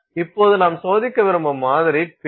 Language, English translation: Tamil, Now, the sample that we wish to test is the pin